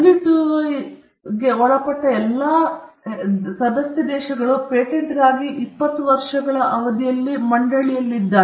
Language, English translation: Kannada, And most countries, who are all members of the WTO, have across the board 20 year term for patent